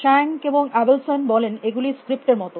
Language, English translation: Bengali, Schank and Abelson say, that these are like script